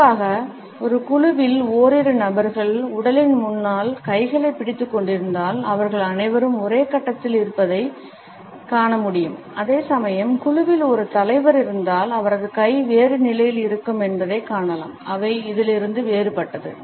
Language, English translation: Tamil, Particularly in a group if a couple of people have held their hands clenched in front of the body, we find that all of them are on the same footing whereas, if there is a leader in the group we would find that his hand position would be different from this